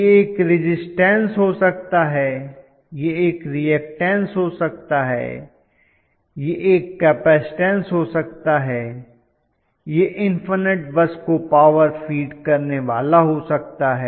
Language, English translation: Hindi, It can be a resistance, it can be a reactance, it can be a capacitance, it can be a simply feeding the power to the infinite bus